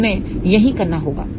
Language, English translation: Hindi, So, that is what we need to do